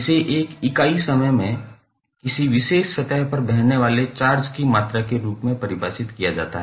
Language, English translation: Hindi, So, it means that the amount of charge is flowing across a particular surface in a unit time